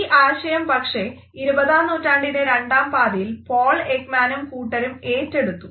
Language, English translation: Malayalam, However, this idea was taken up in the late 20th century by Paul Ekman and his team